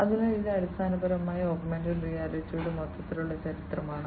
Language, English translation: Malayalam, So, this is basically the overall history of augmented reality